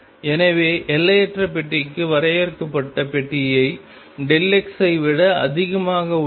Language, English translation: Tamil, So, finite box is greater than delta x for infinite box